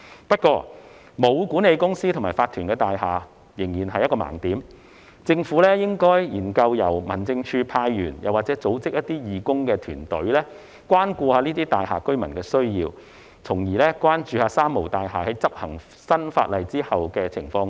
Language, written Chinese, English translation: Cantonese, 不過，沒有管理公司和法團的大廈仍然是一個盲點，政府應該研究由民政事務署派員或組織義工團隊，關顧這類大廈居民的需要，從而關注"三無大廈"在執行新法例後的情況。, Yet buildings without management companies and owners corporations will remain a blind spot . The Government should consider having the Home Affairs Department sent staff or set up volunteer teams to take care of the needs of the residents of such buildings so as to keep an eye on the situation of these three - nil buildings after implementation of the new legislation